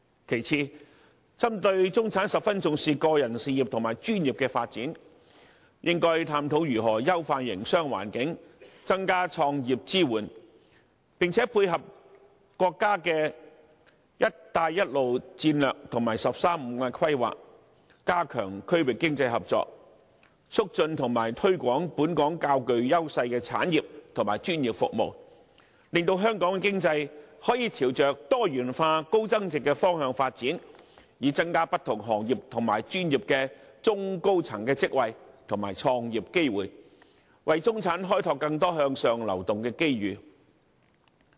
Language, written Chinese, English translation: Cantonese, 其次，針對中產十分重視個人事業和專業的發展，應該探討如何優化營商環境，增加創業支援，並且配合國家的"一帶一路"策略和"十三五"規劃，加強區域經濟合作，促進和推廣本港較具優勢的產業和專業服務，令香港的經濟可以朝着多元化、高增值的方向發展，以增加不同行業和專業的中高層職位和創業機會，為中產開拓更多向上流動的機遇。, If we can dovetail with the National 13 Five - Year Plan and focus on exploring markets along the Belt and Road Hong Kong should be able to create new room for development with its existing advantages and even become one of the economic headquarters among the Belt and Road markets . A merit of headquarter economy is its capability of creating a large number of middle and senior level positions which help facilitate the upward movement of the middle class tremendously . Moreover as a headquarter economy basically covers all trades and sectors it helps trigger a breakthrough for the industrial diversification of Hong Kong